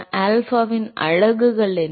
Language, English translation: Tamil, What are the units of alpha